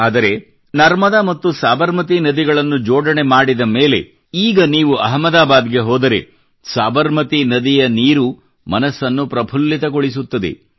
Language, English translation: Kannada, But river Narmada and river Sabarmati were linked…today, if you go to Ahmedabad, the waters of river Sabarmati fill one's heart with such joy